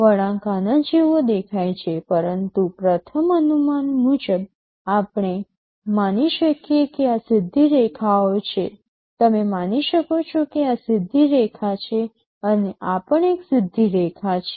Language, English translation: Gujarati, Well the curve looks like this, but to a first approximation we can assume that these are straight lines, you can assume that this is straight line, this is also a straight line